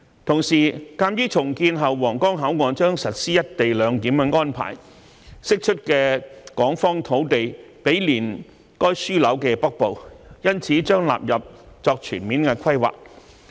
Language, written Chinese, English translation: Cantonese, 同時，鑒於重建後皇崗口岸將實施"一地兩檢"安排，釋出港方土地毗連該樞紐的北部，所以將納入作全面規劃。, Meanwhile given that the Huanggang Port will implement the co - location arrangement after its redevelopment the land released on Hong Kong side which adjoins the northern part of the Development Node will be included in the comprehensive planning